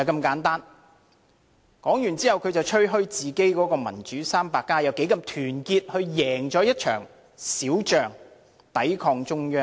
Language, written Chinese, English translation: Cantonese, 說完後，他便吹噓自己的"民主 300+" 有多麼團結，贏得一場小仗，抵抗中央。, He then went on to boast about the solidarity of the Democrats 300 claiming that they have won a small battle in resisting the Central Government